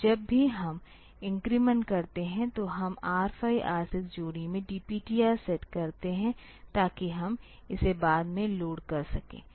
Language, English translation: Hindi, So, whenever we increment; so, we set the DPTR in R 5; R 6 pair, so that we can load it later